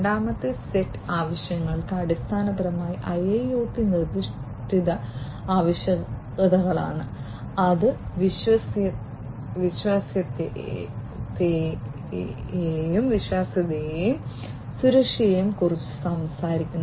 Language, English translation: Malayalam, And the second set of requirements are basically the IIoT specific requirements, which talk about reliability and safety